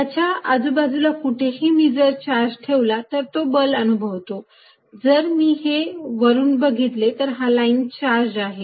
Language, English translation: Marathi, So, anywhere around it, I put a charger experiences is a force, if I look at it from the top, let us look at it top, this is the line charge